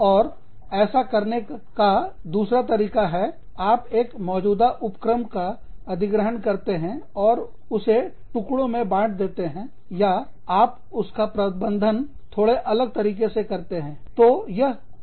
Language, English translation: Hindi, And then, the other way of doing it is, you acquire existing enterprises, and you break them apart, or you manage them, in a slightly different manner